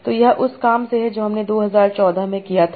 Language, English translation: Hindi, So this is from the work that we did in 2014